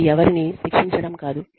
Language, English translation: Telugu, It is not to punish, anyone